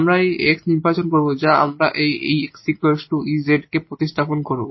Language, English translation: Bengali, So, this ln x will be place by z and this x will be replaced by e power z